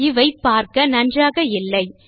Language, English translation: Tamil, Then these dont look too nice